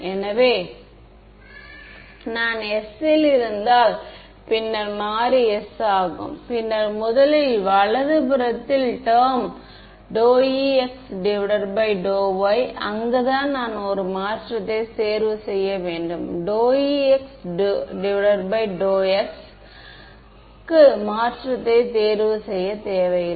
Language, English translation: Tamil, So, if I am in s then the variable is s, then is first term on the right hand side d E x by d y that is where I have to choose make a change and in E y with respect to x i do not need to make a change right